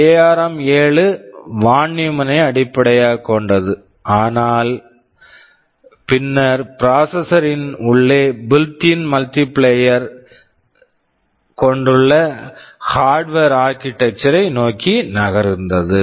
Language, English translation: Tamil, Architecture as it said ARM 7 was based on von Neumann this is v von Neumann, but subsequently there is a move towards Harvard Architectures and inside the processor there is a built in multiplier